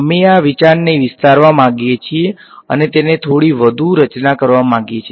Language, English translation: Gujarati, We want to extend this idea and sort of formulize it a little bit more